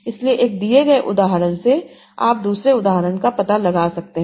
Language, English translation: Hindi, So you have given one example, can you find out the other example